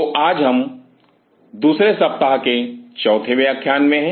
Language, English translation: Hindi, So, today we are into the 4 th lecture of the second